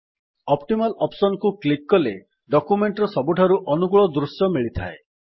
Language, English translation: Odia, On clicking the Optimaloption you get the most favorable view of the document